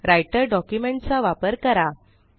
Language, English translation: Marathi, Use the Writer document